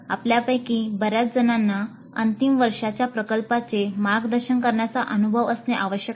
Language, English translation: Marathi, Most of you must be having experience in mentoring the final year project